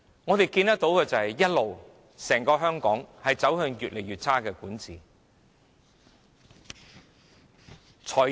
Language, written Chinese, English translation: Cantonese, 我們看到的是香港一直走向越來越差的管治。, What we can see is Hong Kong moving towards worsening governance